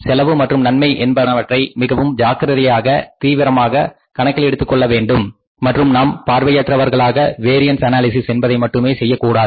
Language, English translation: Tamil, I told you that the cost and benefits has to have to be taken very carefully into account, very seriously into account and we should be not blindfully going for the variance analysis because it has to be done